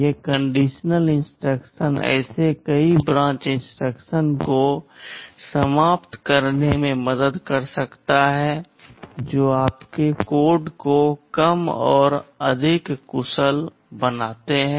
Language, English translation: Hindi, These conditional instructions can help in eliminating many such branch instructions make your code shorter and more efficient